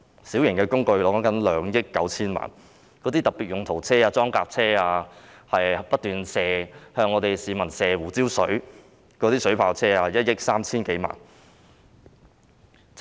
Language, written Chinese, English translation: Cantonese, 小型工具涉及2億 9,000 萬元；特別用途車、裝甲車、不斷向市民噴射胡椒水的水炮車，共1億 3,000 多萬元。, Minor plant incurs 290 million while specialised vehicles armoured personnel carriers and water cannon vehicles spraying pepper water at the public cost 130 - odd million